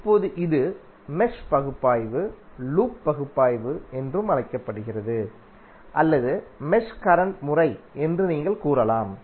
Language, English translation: Tamil, Now this is; mesh analysis is also called loop analysis or you can say mesh current method